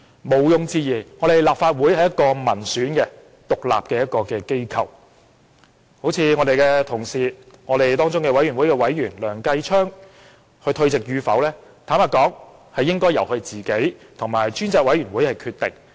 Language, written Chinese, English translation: Cantonese, 毋庸置疑，立法會是一個民選的獨立機構，我們的同事、專責委員會的委員梁繼昌議員退席與否，應該由他本人與專責委員會決定。, Undoubtedly given that the Legislative Council is an independent elected institution whether or not our colleague Mr Kenneth LEUNG a member of the Select Committee should withdraw his membership shall be decided by him and the Select Committee